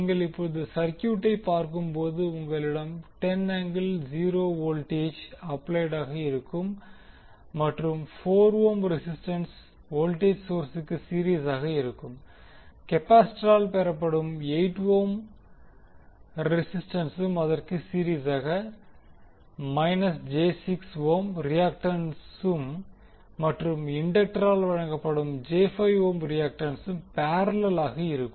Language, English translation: Tamil, You will have 10 angle 0 as a voltage applied and then resistance 4 ohm in series with the voltage source, in parallel you have 8 ohm in series with minus j 6 ohm as a reactance offered by this capacitor and then j 5 ohm reactance offered by the inductor